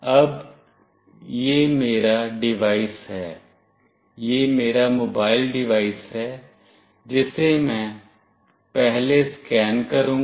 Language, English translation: Hindi, Now, this is my device, this is my mobile device, which I will be scanning first